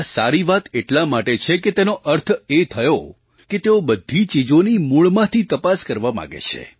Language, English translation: Gujarati, It is good as it shows that they want to analyse everything from its very root